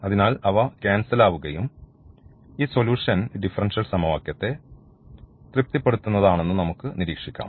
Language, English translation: Malayalam, So, this will cancel out and what we observe that, this solution here which a satisfy satisfies this differential equation